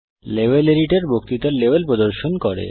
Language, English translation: Bengali, The Level Editor displays the Lecture Level